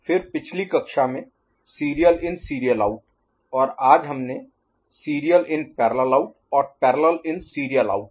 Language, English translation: Hindi, Then serial in serial out in last class and in today’s class serial in parallel out and parallel in serial out ok